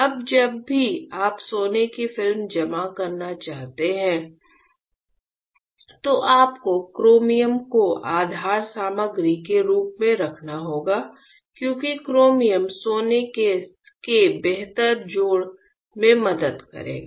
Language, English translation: Hindi, Now, I told you earlier also whenever you want to deposit gold film you have to have the chromium as a base material because chromium will help in a better addition of gold